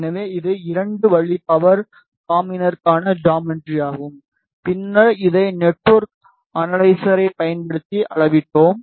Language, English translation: Tamil, So, this is the geometry for 2 way power combiner and then we measured this using network analyzer